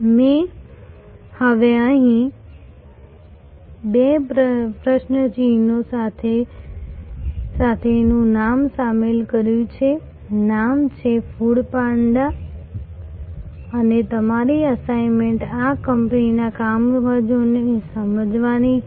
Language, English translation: Gujarati, I have now included here a name with two question marks, the name is food panda and your assignment is to understand the working of this company